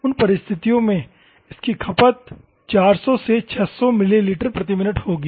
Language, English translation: Hindi, In those circumstances, it will be 400 to 600 ml per minute